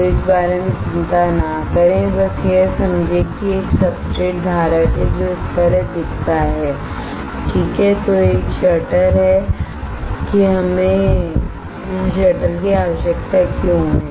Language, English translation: Hindi, So, do not worry about this just understand that there is a substrate holder which looks like this alright, then there is a there is a shutter why we need shutter